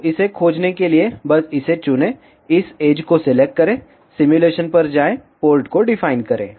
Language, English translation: Hindi, So, just to locate it, just select this, select this edge, go to simulation, define port